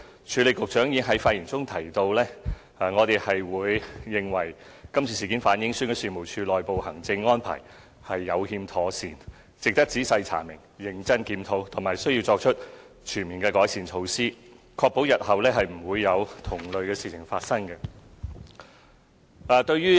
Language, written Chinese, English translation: Cantonese, 署理局長在上星期的發言中提到，我們認為今次事件反映選舉事務處的內部行政安排有欠妥善，值得仔細查明、認真檢討，並須作出全面的改善，確保日後不會再有同類事情發生。, In his speech made last week the Acting Secretary indicated that we considered the incident a revelation of the deficiencies in the internal administrative arrangement of the Registration and Electoral Office REO . Therefore it is necessary to conduct a thorough investigation along with a rigorous review of the incident and to carry out a major overhaul to prevent similar incidents from happening in future